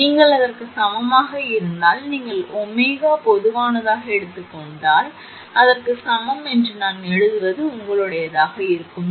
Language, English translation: Tamil, If you is equal to that that means, is equal to if you take omega common it will be your this one I am writing first C V 1 was 0